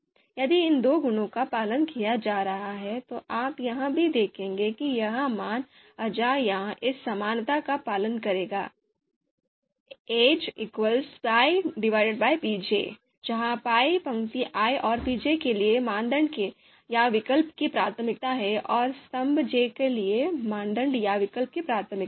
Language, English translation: Hindi, If these two properties are being followed, then you would also see that this value aij it would follow this equality, aij is going to be equal to pi divided by pj, where pi is the priority of the criterion or alternative for row i and pj is the priority of the criterion or alternative for for column j